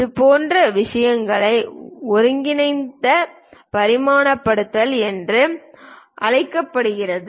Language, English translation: Tamil, Such kind of things are called combined dimensioning